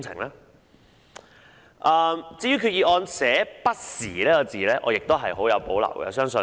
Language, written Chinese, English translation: Cantonese, 對於擬議決議案內用"不時"這兩個字，我亦很有保留。, I also have strong reservations about the words from time to time in the proposed Resolution